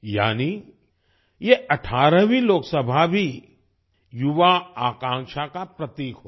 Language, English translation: Hindi, That means this 18th Lok Sabha will also be a symbol of youth aspiration